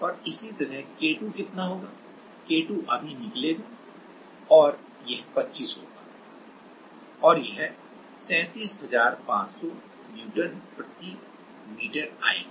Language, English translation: Hindi, And similarly K2 will be how much, K2 will be just here it will be 25 and it will come as 37500 Newton per meter